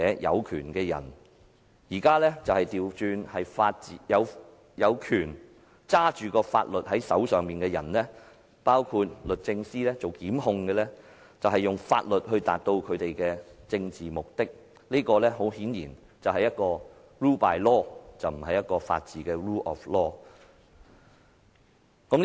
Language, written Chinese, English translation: Cantonese, 然而，現在卻倒轉過來，由一些掌管法律的人——包括由律政司作出檢控——用法律來達致其政治目的，這顯然是 rule by law， 而不是法治 ——rule of law。, The spirit of rule of law aims at containing the ones in power but it is now exploited as a tool for those in control of the law to fulfil their political intent including using the law to institute prosecutions by DoJ an obviously example of rule by law instead of rule of law